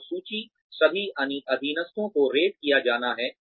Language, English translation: Hindi, And lists, all subordinates to be rated